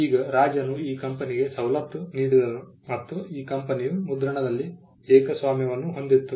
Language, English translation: Kannada, Now, the king granted the privilege to this company and this company had a monopoly in printing